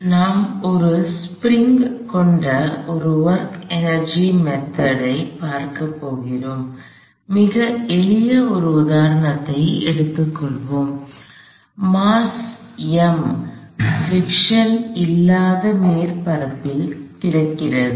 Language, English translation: Tamil, So, we are going to look at a work energy method with a spring, so let us take a very simple example, some mass m and this happens to be lying on a surface with no friction